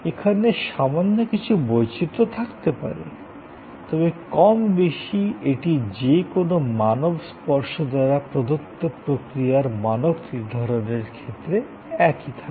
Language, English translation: Bengali, There are minor variations, but more or less it remains the same for the sake of process standardization with a human touch